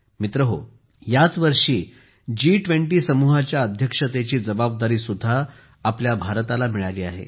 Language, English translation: Marathi, Friends, this year India has also got the responsibility of chairing the G20 group